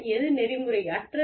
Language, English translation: Tamil, What is unethical